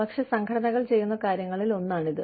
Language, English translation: Malayalam, But, this is one of the things, that organizations do